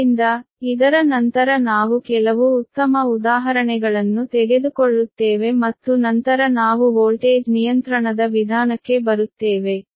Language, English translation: Kannada, so after this we will take few good examples, right, we will take few good examples, and then we will come to the method of voltage control, right